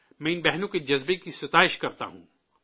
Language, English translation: Urdu, I appreciate the spirit of these sisters